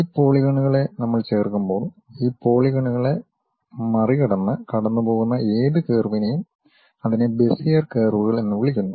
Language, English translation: Malayalam, And when we are fitting these polygons, whatever the curve which pass through that crossing these polygons that is what we call Bezier curves